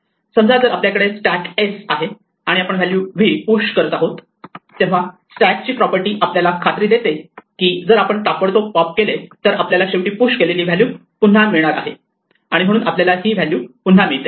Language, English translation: Marathi, For instance if we have a stack s and we push value v then the property of a stack guarantees that if we immediately apply pop the value we get back is our last value push and therefore we should get back v